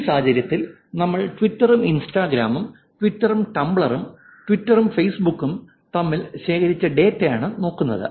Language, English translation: Malayalam, In this case we are looking at data collected between Twitter and Instagram, Twitter and Tumblr, Twitter and Facebook